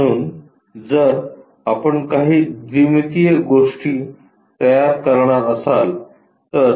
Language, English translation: Marathi, So, if we are going to construct any 2 dimensional things